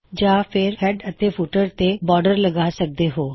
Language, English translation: Punjabi, Or apply a border to the header or footer